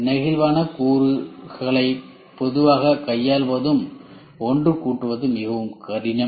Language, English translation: Tamil, The flexible components are generally more difficult to handle them and assemble